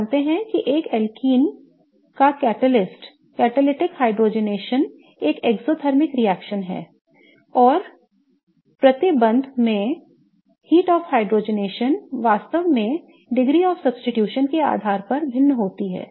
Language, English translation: Hindi, We know that the catalytic hydrogenation of an alken is an exothermic reaction and the heat of hydrogenation per double bond really varies based on the degree of substitution